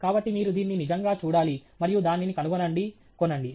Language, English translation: Telugu, So, you should really look at it, and find it, and buy it